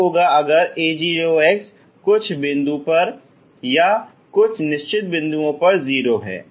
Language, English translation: Hindi, What if a 0 is 0 at some point at certain points, ok